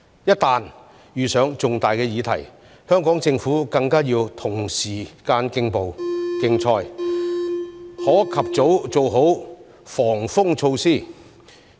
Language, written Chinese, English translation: Cantonese, 一旦遇上重大的議題，香港政府更要與時間競賽，可及早做好"防風措施"。, In case of a major issue the Hong Kong Government should race against time to take early precautionary measures